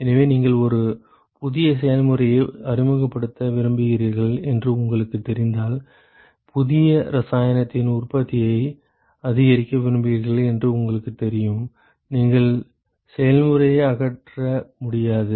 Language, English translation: Tamil, So, if you know that you want to introduce a new process you want to increase manufacture of new chemical you know you cannot dismantle the process